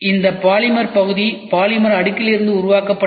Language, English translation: Tamil, This polymer part is developed from polymer layer